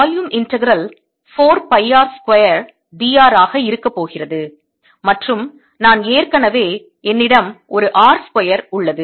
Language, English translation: Tamil, integral is going to be four pi r square, d, r, and i already have a r square from here